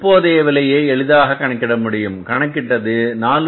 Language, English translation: Tamil, So you can easily find out what is the price available here is that is 4